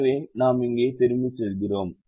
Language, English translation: Tamil, so we go back here